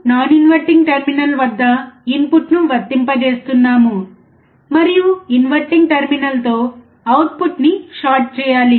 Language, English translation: Telugu, we are applying input at the non inverting terminal, and we have to just short the output with the inverting terminal